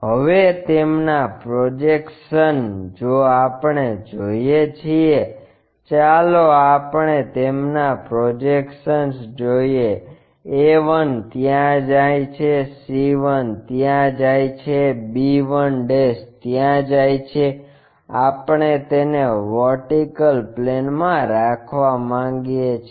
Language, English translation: Gujarati, Now, their projections if we are looking, let us look at their projections a 1 goes there, c 1 goes there, b 1' goes there, we want to keep this on the vertical plane